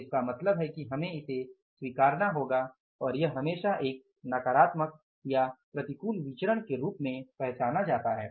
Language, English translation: Hindi, So it means we will have to go for say recognizing this and this is always recognized as a negative variance or the adverse variance